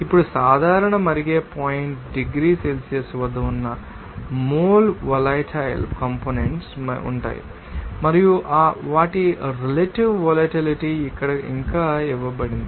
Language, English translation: Telugu, Now, mole volatile components that is at normal boiling point degree Celsius and some will be some less boiling component normal boiling point and their relative volatility here given as yet